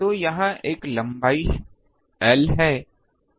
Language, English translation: Hindi, So, it is a length l